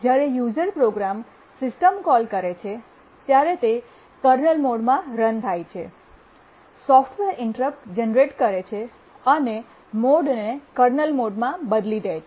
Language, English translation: Gujarati, When a user program makes a system call, it runs in kernel mode, generates a software interrupt, changes the mode to kernel mode